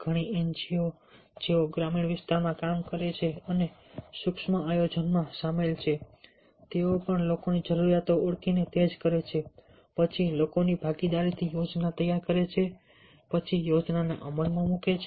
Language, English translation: Gujarati, many of the ngos, those who are working in the rural area, which are involved in micro planning, they also do the same: identify the needs of people, then prepare the plan with the involvement of the people, then execute the plan with the involvement of the people, which ultimately transform their life